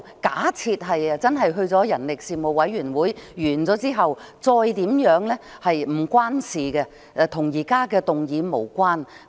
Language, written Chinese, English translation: Cantonese, 假設之後真的交付人力事務委員會，其後如何處理則與現時的議案無關。, Assuming that it will actually be referred to the Panel on Manpower what to do afterwards has nothing to do with the current motion